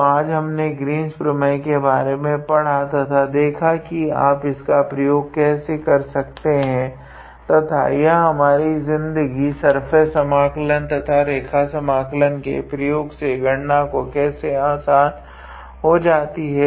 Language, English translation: Hindi, So, today we tried to learn about Green’s theorem and we also saw its how to say efficiency that how you can use it and how it makes our life easier while calculating the surface integral or line integral